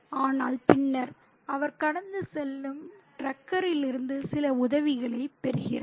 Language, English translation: Tamil, But then he gets some help from a passing truck